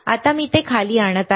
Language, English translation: Marathi, Now I am bringing it down